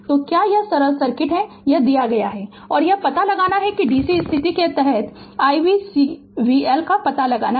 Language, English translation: Hindi, So, you have this is the simple circuit is given this is and you have to find out under dc condition you have to find out i v C v L right